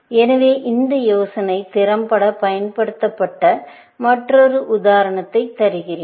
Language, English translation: Tamil, So, let me give another example where, this idea was used effectively